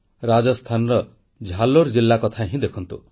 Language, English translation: Odia, Take for instance Jalore district in Rajasthan